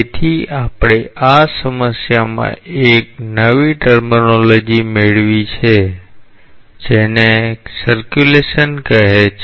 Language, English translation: Gujarati, So, we have come across at new terminology in this problem called as circulation